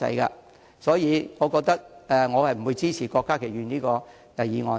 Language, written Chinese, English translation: Cantonese, 因此，我不會支持郭家麒議員的議案。, Therefore I do not support Dr KWOK Ka - kis motion